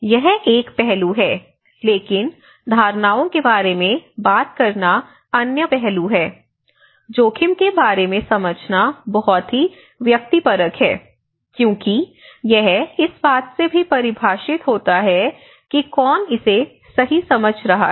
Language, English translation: Hindi, So, this is of one aspect, but other aspects is when we talk about perceptions, first of all perception of a risk itself is a very subjective you know because it also defined from who is perceiving it right